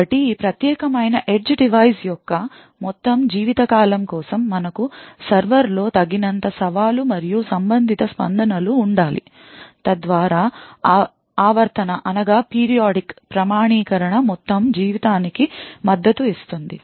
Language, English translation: Telugu, So therefore, for the entire lifetime of this particular edge device we should have sufficient amount of challenge and corresponding responses stored in the server so that the periodic authentication is supported for the entire life